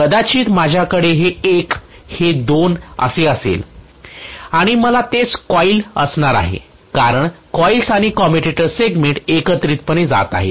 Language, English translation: Marathi, Maybe I am going to have this as 1 this is 2 and I am going to have the same coil because the coils and the commutator segments are moving together